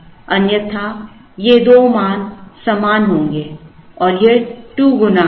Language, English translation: Hindi, Otherwise, these two values will be equal and it will be 2 times